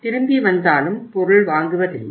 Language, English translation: Tamil, They come back and they do not purchase the item